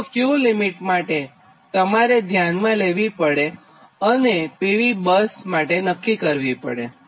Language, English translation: Gujarati, so q limit also you have to consider, and it has to be specified for p v buses, right